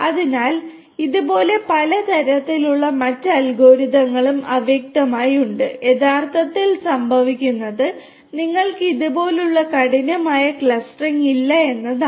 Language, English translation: Malayalam, So, like this there are many many different types of other algorithms that are also there in fuzzy actually what is happening is you do not have hard clustering like this